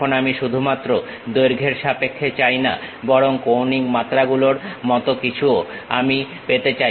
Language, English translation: Bengali, Now, I do not want only in terms of length, but something like angular dimensions I would like to have it